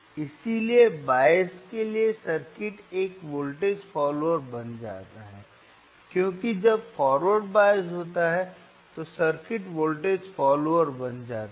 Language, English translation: Hindi, So, for bias, circuit becomes a voltage follower, because when forward bias is thatere, it will be like so circuit becomes by voltage follower,